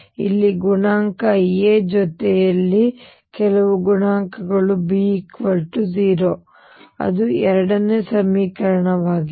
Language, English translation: Kannada, With some coefficient here A, plus some coefficients here B equals 0 that is the second equation